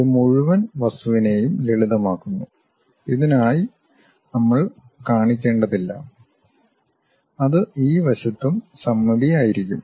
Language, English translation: Malayalam, This simplifies the entire object saying that we do not have to really show for this, that will be symmetric on this side also